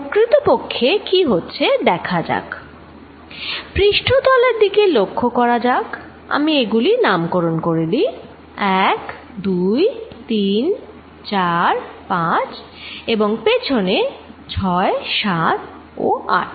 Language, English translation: Bengali, Let us really see what happens, let us look at the surface let me name it 1, 2, 3, 4, 5 in the backside 6, 7 and 8